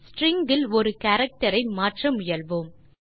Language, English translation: Tamil, String is a collection of characters